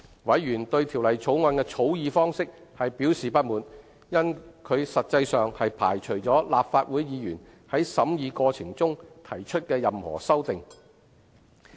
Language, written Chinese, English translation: Cantonese, 委員對《條例草案》的草擬方式表示不滿，因其實際上排除了立法會議員在審議過程中提出任何修訂。, Members were discontented with the drafting of the Bill for it has in effect ruled out any amendment to be proposed by Legislative Council Members during the course of scrutiny